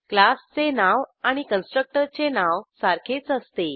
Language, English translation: Marathi, It has the same name as the class name